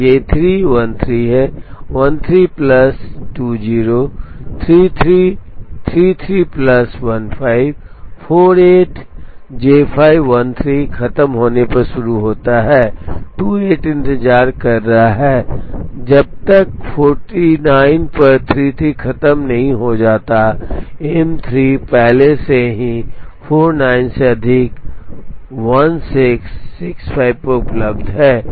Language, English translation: Hindi, So, J 3 is 13, 13 plus 20, 33, 33 plus 15, 48, J 5 starts at 13 finishes at 28 waits till 33 finishes at 49, M 3 is already available 49 plus 16 is 65